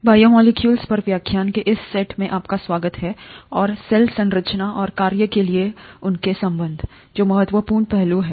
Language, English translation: Hindi, Welcome to this set of lectures on “Biomolecules and their relationship to the Cell Structure and Function”, which are important aspects